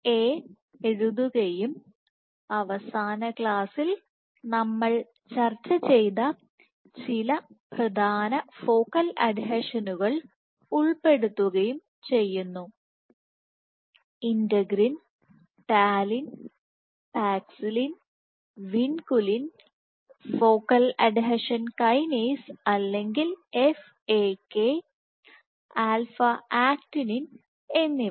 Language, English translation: Malayalam, I will write FAs and some of the major focal adhesions that we discussed in last class include: Integrins, Talin, Paxillin, Venculin focal adhesion kinase or FAK and alpha actinin